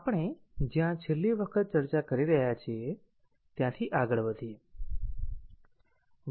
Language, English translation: Gujarati, Let us continue from where we are discussing last time